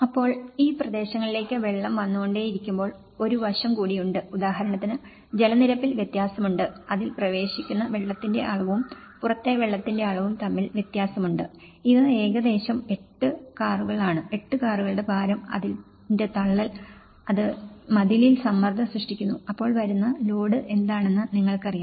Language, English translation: Malayalam, Then, when the water keeps coming into these areas obviously, there is also an aspect of; there is a difference in water levels for instance, the amount of water it enters and the amount of water outside, this is almost 8 cars, you know the load which is coming of the 8 cars worth of load which is pushing this wall and this difference in water level you know creates the pressure on the wall you know, this difference is creating the pressure